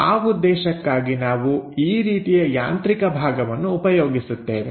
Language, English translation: Kannada, For that purpose, we use this kind of mechanical element